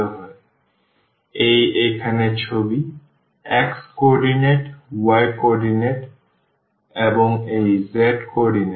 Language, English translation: Bengali, So, this is the picture here the x coordinate y coordinate and this z coordinate